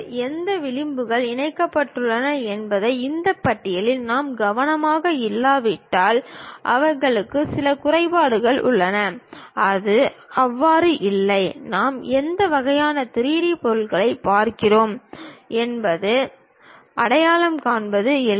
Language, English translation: Tamil, They have certain disadvantages also, if we are not careful with this list which edges are connected with each other, it is not so, easy to identify what kind of 3D object we are looking at